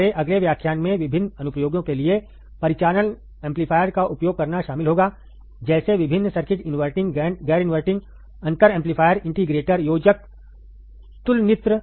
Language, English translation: Hindi, Our next lecture would consist of using the operational amplifier for different applications; like, different circuits inverting, non inverting, differential amplifier, integrator, adder, comparator